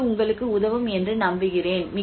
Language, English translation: Tamil, I hope this helps you